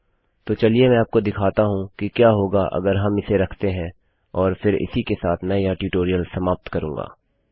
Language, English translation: Hindi, So, let me just show you what would happen if we keep these in and then with that Ill end the tutorial